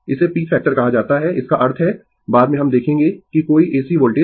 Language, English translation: Hindi, This is called peak factor; that means, later we will see that any any any AC voltage